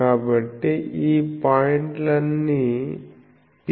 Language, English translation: Telugu, So, P is all these points P